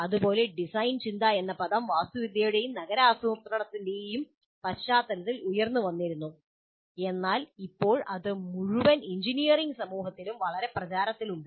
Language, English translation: Malayalam, Similarly, the term design thinking arose in the context of architecture and urban planning but now it's very popularly used in the entire engineering community